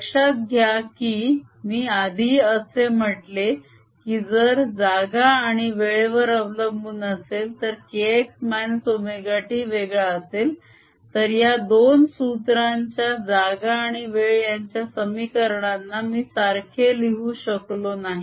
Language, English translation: Marathi, notice that ah, earlier i had said if the space time dependence that means k x minus omega t was different, then i could not have equated this space and time dependence of the two more explicitly